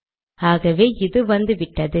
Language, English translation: Tamil, It has come now